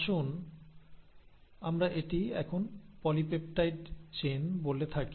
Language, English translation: Bengali, This polypeptide chain; so let us say this is now the polypeptide chain